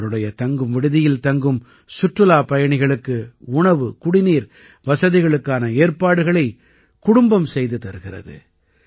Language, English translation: Tamil, His family makes arrangements for food and drink for the tourists staying at his place